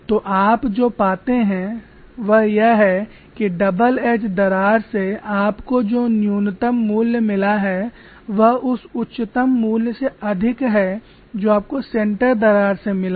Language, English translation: Hindi, So what you find is that the least value that you have got from the double edge crack is higher than the highest value you got from the center crack, but they were close